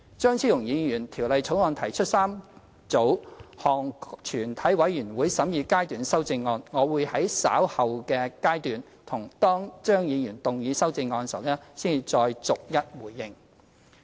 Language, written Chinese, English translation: Cantonese, 張超雄議員就《條例草案》提出3組全體委員會審議階段修正案，我會在稍後的階段，當張議員動議修正案時，才再逐一回應。, Dr Fernando CHEUNG has proposed three groups of Committee stage amendments . I will respond later to these amendments one by one after Dr CHEUNG has moved them